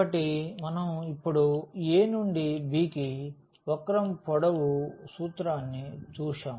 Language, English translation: Telugu, So, for the curve length we have just seen the formula was a to b